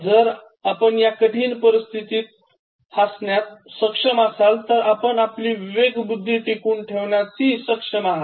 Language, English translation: Marathi, If you are able to laugh at these difficult circumstances, he says then you will be able to keep your sanity